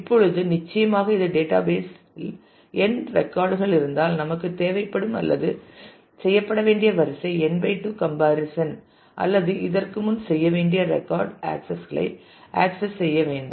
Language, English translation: Tamil, Now, certainly this will mean that if there are n records in the database then we will need or the order of about n /2 comparisons to be done or accesses record accesses to be done before